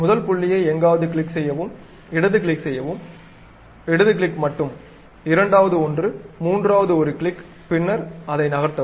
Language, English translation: Tamil, Pick first point somewhere click, left click, right click, sorry left click only, second one, the third one click then move it